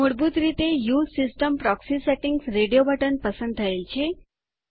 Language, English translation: Gujarati, By default, the Use system proxy settings radio button is selected